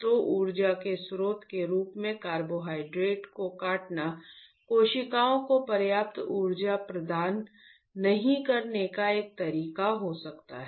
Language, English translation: Hindi, So, cutting the carbohydrate as a source of energy can be one way of not providing enough energy to the cells